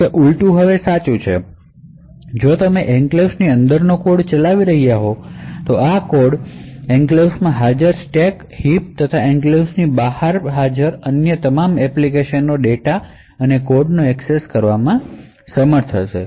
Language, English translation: Gujarati, However, the vice versa is true now if you are running code within the enclave this particular code will be able to access the stack and heap present in the enclave as well as all the other application data and code present outside the enclave as well